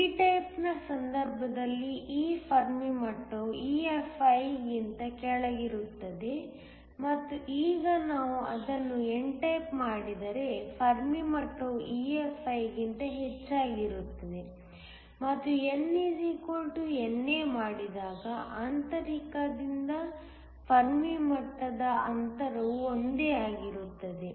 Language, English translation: Kannada, In the case of p type this Fermi level is located below EFi and now, we can make it n type the Fermi level goes above EFi and when N = NA, the distance of the Fermi level from the intrinsic will be the same